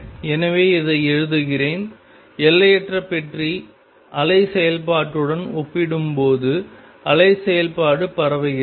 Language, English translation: Tamil, So, let me write this: the wave function is spread out compared to the infinite box wave function